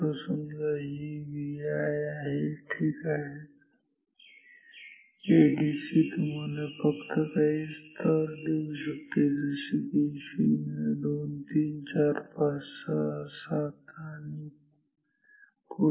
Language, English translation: Marathi, Say, this is V i ok, say the ADC can give you only this levels like 1 this is 0 1 2 3 4 5 6 7 so on